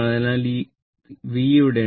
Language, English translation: Malayalam, So, this V is there, so this is my V